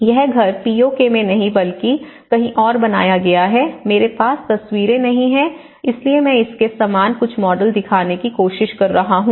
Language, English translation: Hindi, And there all, this is not the house exactly built in the POK but built elsewhere but I do not have the photographs, so I am trying to show some similar models of it